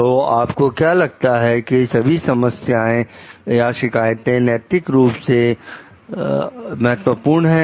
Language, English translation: Hindi, So, what you find like that all the complaints are ethically significant